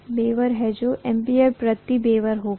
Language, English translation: Hindi, So this will be weber, ampere per weber